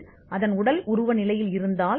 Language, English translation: Tamil, If it is in its physical state